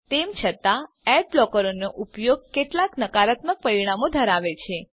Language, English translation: Gujarati, However, using ad blockers have some negative consequences